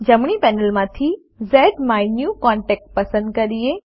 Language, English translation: Gujarati, From the right panel, lets select ZMyNewContact